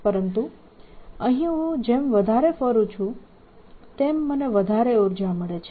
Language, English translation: Gujarati, but here i go around more, more is the energy that i gain